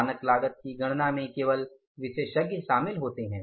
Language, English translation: Hindi, Only experts are involved in calculating the standard cost